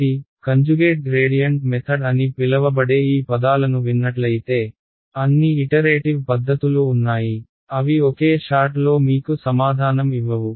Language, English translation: Telugu, So, something called conjugate gradient method if you heard these words there are there is a whole family of iterative methods which will solve which will not give you the answer in one shot